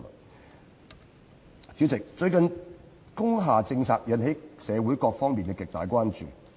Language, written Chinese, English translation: Cantonese, 代理主席，最近工廈政策引起社會各方面的極大關注。, Deputy President the policy on industrial buildings has recently aroused great concern in various social sectors